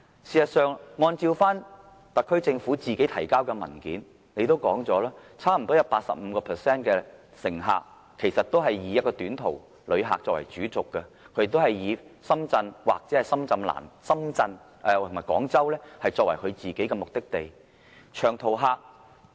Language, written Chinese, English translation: Cantonese, 事實上，按照特區政府提交的文件，差不多 85% 的高鐵乘客也以短途旅客作為主軸，以深圳或廣州作為目的地。, In fact the SAR Governments paper states that almost 85 % of the XRL patronage will come from short - trip passengers with Shenzhen or Guangzhou as their destinations